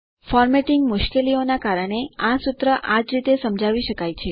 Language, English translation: Gujarati, Due to a formatting difficulty this formula can be explained only in this way